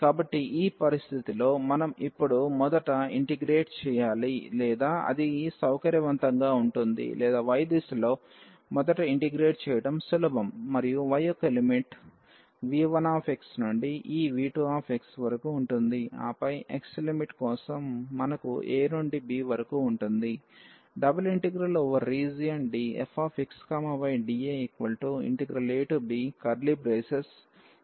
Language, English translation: Telugu, So, in this situation we have the possibility now that we should first integrate or it is convenient or it is easier to integrate first in the direction of y, and the limit of y will be from v 1 x to this v 2 x and then for the limit of x we will have a to b